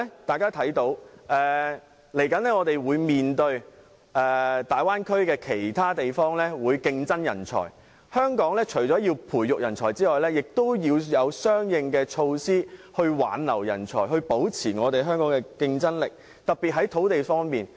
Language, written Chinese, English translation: Cantonese, 但是，接下來大灣區其他地方會與我們爭奪人才，所以，香港除了培育人才外，亦要有相應的措施挽留人才，特別是在土地方面，才能保持香港的競爭力。, However other places in the Bay Area will soon compete for talents with us . Therefore apart from nurturing talents Hong Kong must also put in place measures to retain talents especially in terms of land which is the most expensive among various living expenses in Hong Kong in order to maintain our competitiveness